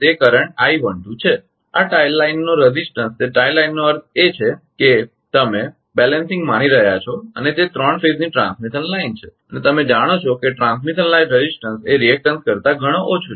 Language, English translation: Gujarati, A resistance of this ah tie line it is tie line means you are assuming the balancing and it is a three phase transmission line and you know for transmission line resistance is much much smaller than the reaction